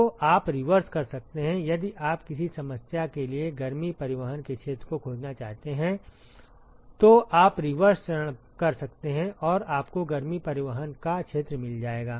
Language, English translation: Hindi, So, you can do the reverse, if you want to find the area of heat transport for a given problem you can do the reverse step and you will find the area of heat transport